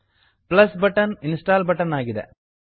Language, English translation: Kannada, The plus button is the install button